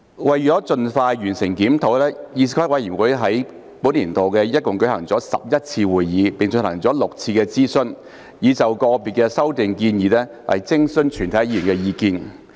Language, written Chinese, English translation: Cantonese, 為盡快完成檢討，議事規則委員會於本年度一共舉行了11次會議，並進行了6次諮詢，以就個別修訂建議徵詢議員意見。, In order to complete the review expeditiously the Committee held a total of 11 meetings and 6 consultations sessions this year to gauge Members views on certain proposed amendments